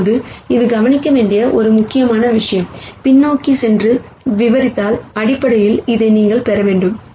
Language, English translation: Tamil, Now this is an important thing to notice, if you go back and then say let me expand this, then basically you should get this